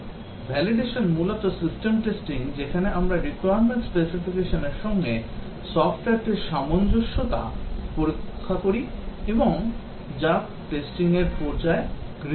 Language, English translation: Bengali, Validation essentially is system testing where we test the software for conformance to the requirement specification and that is undertaken in the testing phase